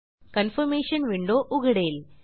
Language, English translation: Marathi, A Confirmation window opens